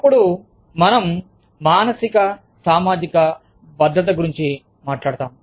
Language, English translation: Telugu, Then, we talk about psychosocial safety